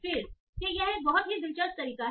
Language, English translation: Hindi, Again that is a very interesting method